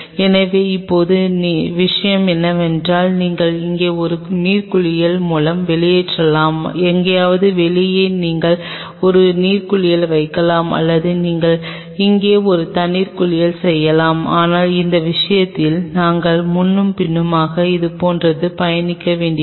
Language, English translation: Tamil, So, now, the thing is that either you can get away with one water bath out here, somewhere out here you can place a water bath or you can have a have a water bath here, but in that case, we will have to travel back and forth like this